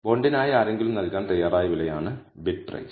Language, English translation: Malayalam, Bid price is the price someone is willing to pay for the bond